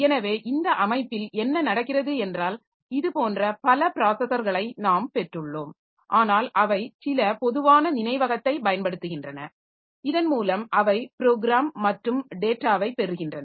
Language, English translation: Tamil, So, what happens is that in this system so we have got a number of processors like this but they are using some common memory by which they from which they get the program and data